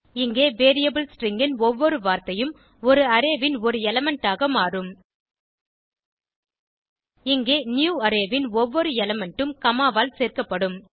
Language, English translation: Tamil, In this case, each word of the variable string will become an element of an Array Here, each element of newArray will be joined by comma